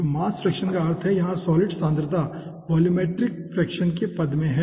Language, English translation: Hindi, so mass fraction means here solid concentration is in the term of the volume fraction